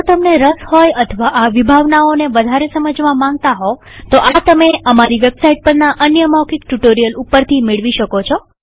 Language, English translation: Gujarati, If you are interested, or need to brush these concepts up , please feel free to do so through another spoken tutorial available on our website